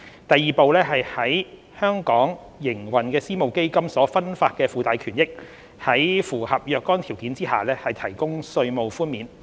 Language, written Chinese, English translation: Cantonese, 第二步是為在本港營運的私募基金所分發的附帶權益，在符合若干條件下提供稅務寬免。, The second step is the provision of tax relief for carried interests distributed by private equity funds operating in Hong Kong subject to certain conditions